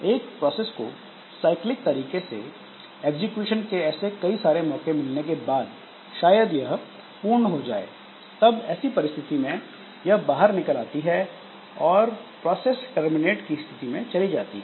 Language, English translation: Hindi, So, that way after so if a process has got several chances for execution in this cyclic fashion then maybe it is over now so it will do an exit and the process goes to a state called terminated